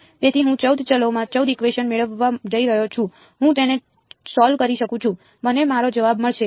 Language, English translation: Gujarati, So, I am going to get 14 equations in 14 variables I can solve it I will get my answer